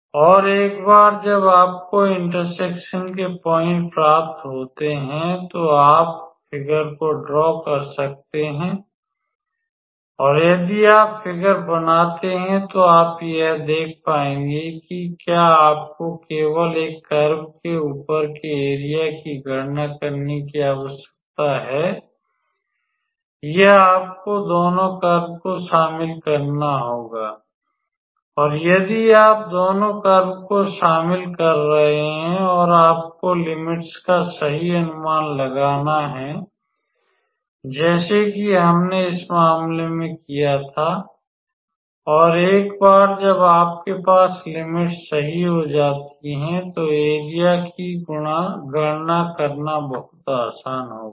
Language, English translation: Hindi, And once you get the point of intersection you sort of can draw the figure and if you draw the figure then you will be able to see that whether you need to calculate the area only above the one curve or you have to involve both the curves and if you are involving the both the curves and you have to guess the limits correctly like we did in this case and once you have the limits correctly then calculating the am area would be pretty much straight forward all right